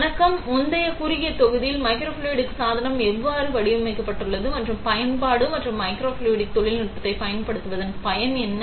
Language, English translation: Tamil, Hi, in the previous short module, you saw how a microfluidic device is designed and what is the application and the, what is utility of using microfluidic technology